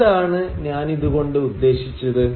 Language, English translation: Malayalam, What do I mean by this